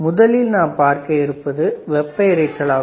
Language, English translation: Tamil, The first noise is thermal noise